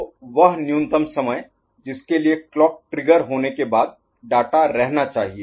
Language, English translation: Hindi, So, this minimum amount of time data must be held after clock trigger ok